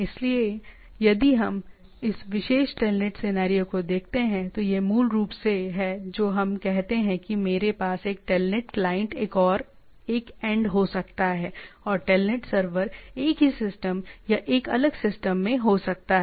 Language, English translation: Hindi, So, if we look at this particular telnet scenario, so it is it is basically what we have say I can have a telnet client and one end and the telnet server can be on the same system or in a different system right